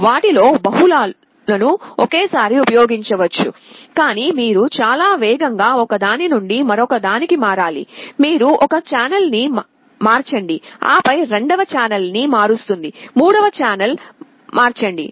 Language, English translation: Telugu, Multiple of them can be used simultaneously, but you will have to switch from one to other at a very fast rate; you convert one channel then converts second channel, then convert third channel